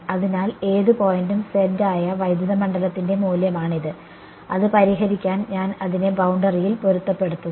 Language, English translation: Malayalam, So, this is the value of the electric field that any point z and to solve it I am matching it on the boundary